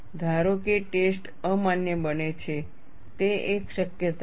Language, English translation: Gujarati, Suppose the test becomes invalid; that is a possibility